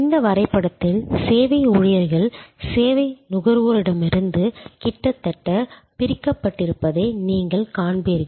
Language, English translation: Tamil, In this diagram, as you will see service employees are almost separated from service consumers